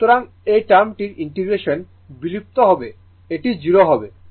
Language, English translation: Bengali, So, integration of this term will vanish it will 0